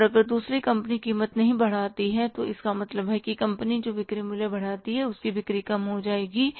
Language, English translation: Hindi, And if the other company doesn't jack up the price, so it means the company who increases the selling price, their sales are bound to dip